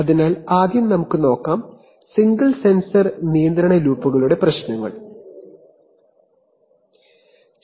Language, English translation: Malayalam, So first we will take a look at, the problems of single sensor control loops